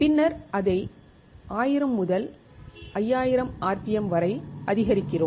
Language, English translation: Tamil, Then we ramp it up to 1000 to 5000 rpm